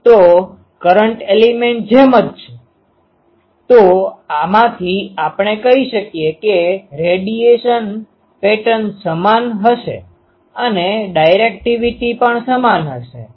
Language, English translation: Gujarati, So, same as the current element; so, from this we can say that radiation pattern will be same and directivity also will be same